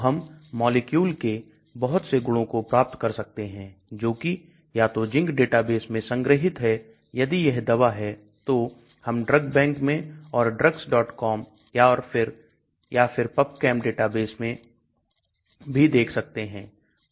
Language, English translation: Hindi, So we can get many of these properties of molecules which are stored either in ZINC database or if it is a drug they can go to DRUGBANK or drugs